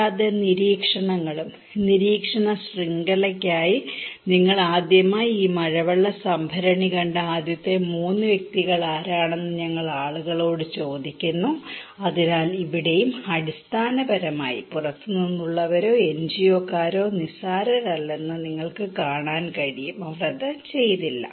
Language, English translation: Malayalam, Also the observations; for observation network, we ask people that who was the first three persons where you saw first time this rainwater tank and so here also basically, you can see that outsiders or NGO people are negligible, they did not